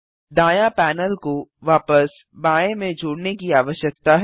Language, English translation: Hindi, The right panel needs to be merged back into the left one